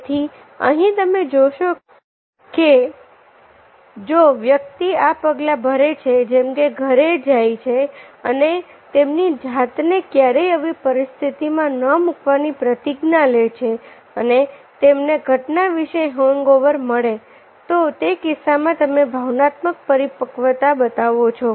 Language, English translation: Gujarati, so here, if you see, if the person takes this steps like go home and above never to put yourself in such situation and you get a hangover about the incident, then in that case you show the emotional immaturity